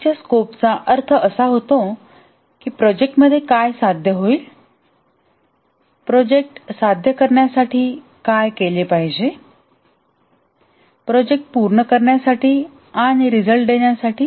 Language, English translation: Marathi, The project scope essentially means that what will be achieved in the project, what must be done to achieve the project, to complete the project and to deliver the results